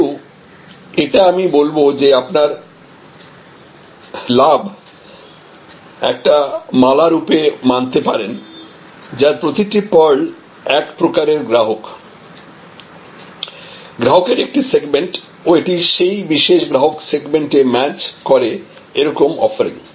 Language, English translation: Bengali, But I must say that you can consider your benefits as a garland and understand, that each of these pearls represent one type of customer, one segment of customer and this is a matched offering to that particular customer segment